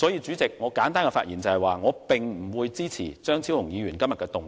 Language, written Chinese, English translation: Cantonese, 主席，我簡短發言，就是要表明不支持張超雄議員動議的議案。, President with my brief speech I have to state expressly that I do not support the motion moved by Dr Fernando CHEUNG